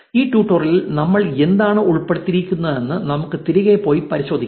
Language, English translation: Malayalam, Let us just go back and revise what all we covered in this tutorial